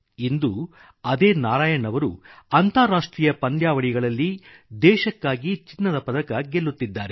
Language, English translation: Kannada, The same Narayan is winning medals for India at International events